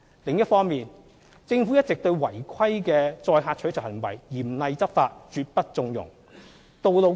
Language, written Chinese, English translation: Cantonese, 另一方面，政府一直對違規的載客取酬行為嚴厲執法，絕不縱容。, On the other hand the Government has been taking stern enforcement actions against illegal carriage of passengers for reward and will not condone such activities